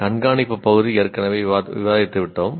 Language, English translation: Tamil, The monitoring part is already taken care of